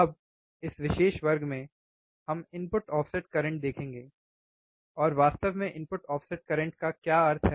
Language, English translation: Hindi, Now, in this particular class, we will see input offset current and what exactly input offset current means